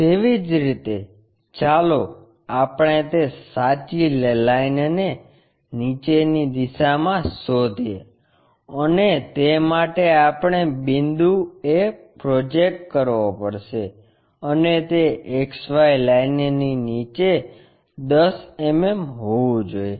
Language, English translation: Gujarati, Similarly, let us locate that true line in the downward direction for that we have to project point a and that supposed to be 10 mm below XY line